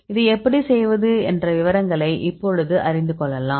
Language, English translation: Tamil, Now, will explain the details how to do this